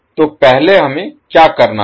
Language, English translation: Hindi, So first what we have to do